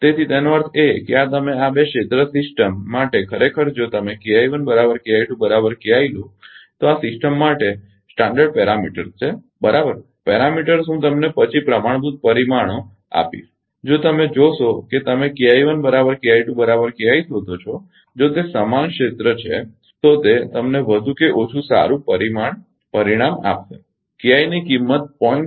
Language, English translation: Gujarati, So, that means, your this for this two areas system actually if you take K I 1 is equal to K I 2 is equal to K I for this system with a standard parameters, right; parameters I will give you later standard parameters right if you see that you will find K I 1 is equal to K I 2 is equal to K I if they are equal area, right it will give you more or less good result for value of K I is equal to 0